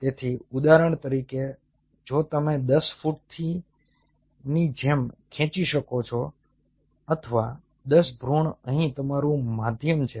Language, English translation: Gujarati, so say, for example, if you could manage to pull, like you know, ten from ten feet or a ten embryos here is your medium